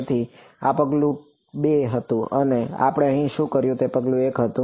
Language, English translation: Gujarati, So, this was step 2 and what we did over here was step 1